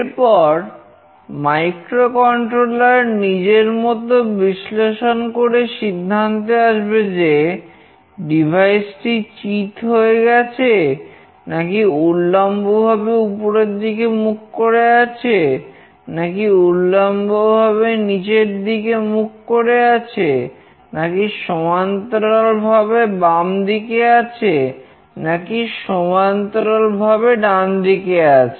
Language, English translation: Bengali, Then the microcontroller will do the needful, it will analyze to check whether the coordinates received signifies that the device is flat or the device is vertically up or it is vertically down or it is horizontally left or it is horizontally right